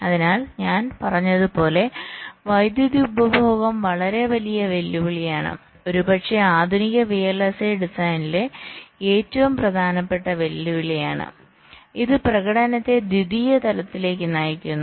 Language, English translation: Malayalam, so, as i said, power consumption is ah very big challenge, perhaps the most important challenge in modern day vlsi design, which is pushing performance to a secondary level